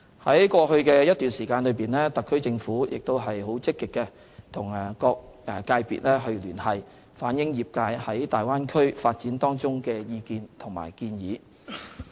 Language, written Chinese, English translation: Cantonese, 在過去一段時間，特區政府積極與各個界別聯繫，反映業界對大灣區發展的意見和建議。, For quite some time in the past the SAR Government actively liaised with different sectors to reflect their views and proposals on the Bay Area development